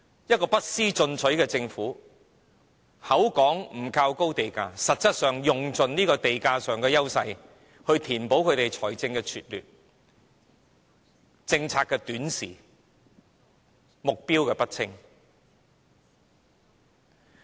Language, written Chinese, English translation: Cantonese, 一個不思進取的政府口說不靠高地價，實質上卻用盡地價上的優勢來填補理財的拙劣、政策的短視、目標的不清。, This unproductive Government who claims that it does not rely on the high land price policy is actually making use of the advantage of the land price to make up for its poor financial management skills short - sighted policies and unfocused targets